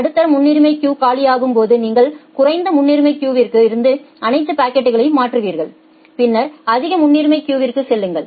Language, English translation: Tamil, When the medium priority queue becomes empty you come to the low priority queue transfer all the packets from the low priority queue and then go to the high priority queue the, that we call as the non preemptive scheduling